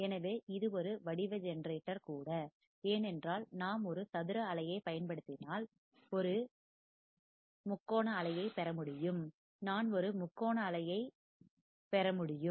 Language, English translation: Tamil, So, it is a shape generator also, because if I apply a square wave I can obtain a triangle wave, I can obtain a triangle wave